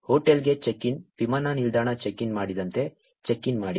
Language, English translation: Kannada, Check in like check in into the hotel, check in into the airport